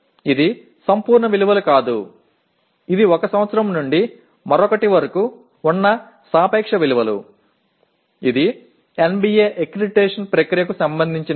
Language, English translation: Telugu, It is not the absolute values that matter but it is the relative values from 1 year to the other that is what matters in as far as NBA accreditation process is concerned